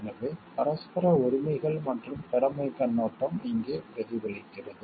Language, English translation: Tamil, So, the it is the mutual rights and the duty is perspective which is reflected over here